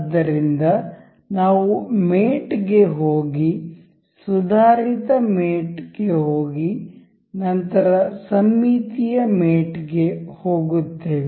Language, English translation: Kannada, We will go to mate and we will go to advanced mate, then symmetric